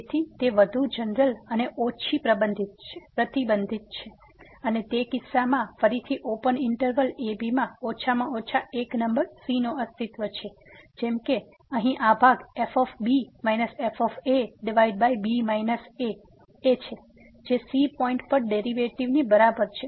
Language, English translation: Gujarati, So, it is more general and less restrictive and in that case again there exist at least one number in the open interval such that this quotient here minus over minus is equal to the derivative at a point